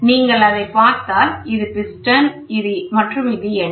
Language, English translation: Tamil, So, if you look at it, this is the piston and the weight